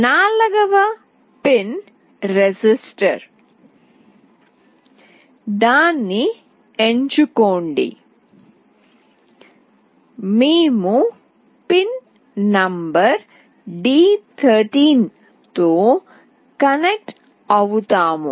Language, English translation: Telugu, The fourth pin is register select that we will be connecting with the pin number d13